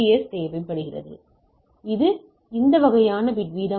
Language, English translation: Tamil, So, this way I can calculate the bit rate